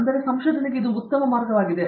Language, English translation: Kannada, So, that would be a better way to look at research